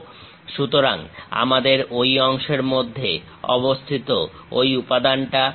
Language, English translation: Bengali, So, we have that material within that portion